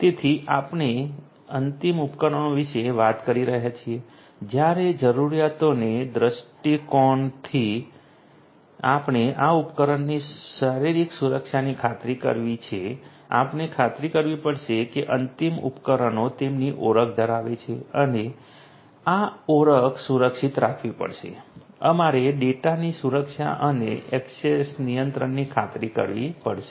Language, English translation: Gujarati, So, in terms of the requirements you know when we are talking about the end devices we have to ensure physical security of these devices, we have to ensure that the end devices have their identity and this identity will have to be protected, we have to ensure the protection of the data the and also the access control